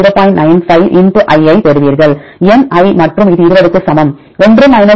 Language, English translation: Tamil, 95 * i with the function of n, i and this equal to 20 (1 0